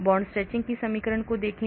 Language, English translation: Hindi, look at the equation for bond stretching